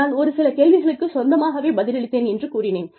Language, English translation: Tamil, And, I said, I responded to a few queries, on my own